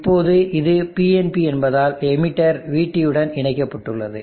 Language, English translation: Tamil, Now because it is PNP the emitter is connected to VT